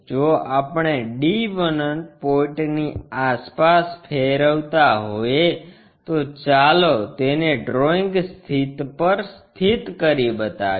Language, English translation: Gujarati, If we are rotating around d 1 point, is more like let us locate on the drawing sheet